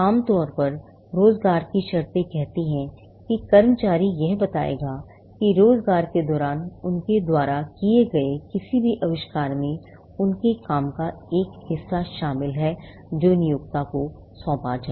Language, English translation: Hindi, Employees normally, their terms of employment will says, will would state that any invention that they come up with during the course of employment which involves a part of their work, will be assigned to the employer